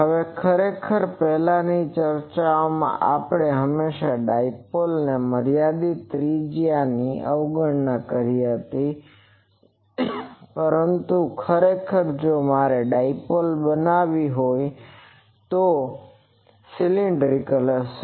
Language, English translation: Gujarati, Now, actually in the earlier discussions we always neglected the finite radius of the dipole, but actually if I want to make a dipole, it will be a cylinder